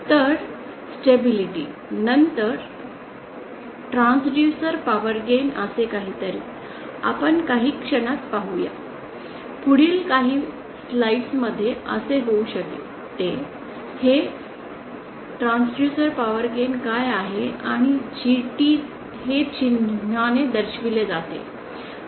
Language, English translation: Marathi, So stability, then something called transducer power gain we shall see in a moment in the next few slides may be, what is this transducer power gain and this is represented by the symbol G